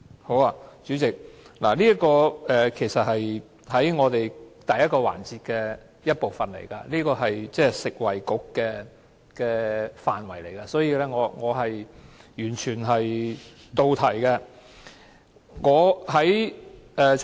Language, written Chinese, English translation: Cantonese, 好的，代理主席，這其實是第一個環節的一部分，是食物及衞生局的範圍，所以我完全是到題的。, Okay Deputy Chairman . It is part of the first session and within the scope of the Food and Health Bureau . So I am speaking completely on the subject